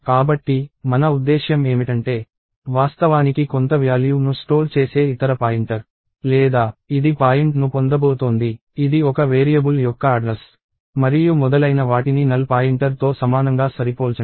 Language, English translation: Telugu, So, by that I mean, no other pointer that is actually storing some value or which is going to get point, which is an address of a variable and so, on, will ever compare equal to a null pointer